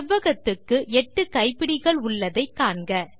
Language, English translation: Tamil, Notice the eight handles on the rectangle